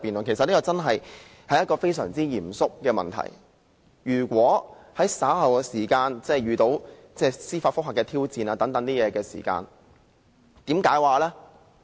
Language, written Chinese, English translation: Cantonese, 其實這確實是非常嚴肅的問題，日後一旦遇上司法覆核等挑戰時，應如何解釋呢？, Actually this is a very serious matter . How should the quorum be interpreted in the event of challenges such as judicial reviews in future?